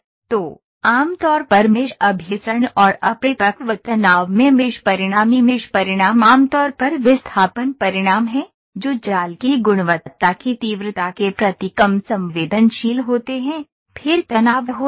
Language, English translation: Hindi, So, mesh convergence generally and overly course mesh results in unpredicted stress is typically displacement results are less sensitive to mesh quality intensity then stresses are